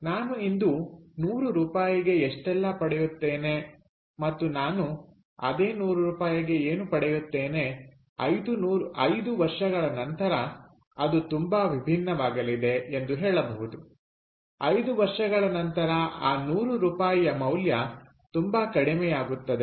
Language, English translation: Kannada, what i get for hundred rupees today and what i will get for hundred rupees, lets say, after five years, are going to be very different after five years, the value of that hundred rupees will be much lesser clear